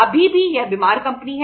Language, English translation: Hindi, Still it is a sick company